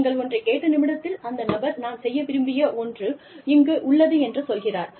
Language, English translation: Tamil, The minute, you say that, people say, okay, here is something, that i want to do